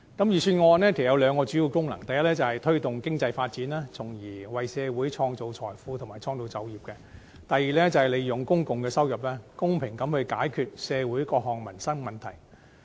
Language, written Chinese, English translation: Cantonese, 預算案有兩項主要功能，第一是推動經濟發展，從而為社會創造財富和創造就業；第二是利用公共收入，公平地解決社會各項民生問題。, The Budget serves two main purposes first to promote economic development so as to create wealth and employment for society; second to fairly resolve various livelihood problems by using public revenue